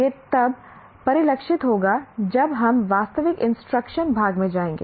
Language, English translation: Hindi, This will get reflected when we go over to the actual instruction part